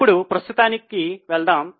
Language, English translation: Telugu, Now, let us go to current ones